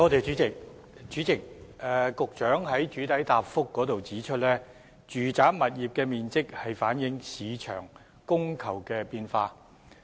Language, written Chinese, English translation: Cantonese, 主席，局長在主體答覆中指出，住宅物業的面積反映市場的供求變化。, President the Secretary pointed out in the main reply that the size of residential properties reflects changes in the supply and demand of the property market